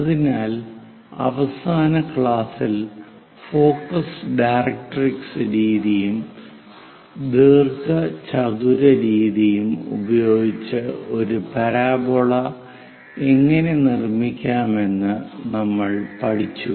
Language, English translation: Malayalam, So, in the last classes, we have learned about focus directrix method; how to construct a parabola and a rectangle method